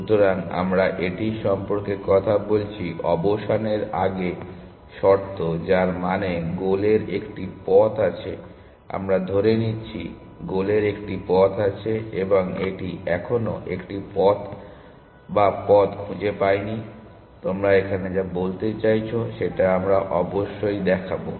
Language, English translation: Bengali, So, we as talking about it condition before termination which means there is a paths to the goal we assuming there is a path to the goal and it has not yet found a path or the path whatever you want to say we will show